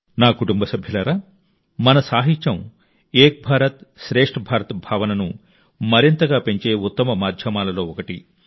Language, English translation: Telugu, My family members, our literature is one of the best mediums to deepen the sentiment of the spirit of Ek Bharat Shreshtha Bharat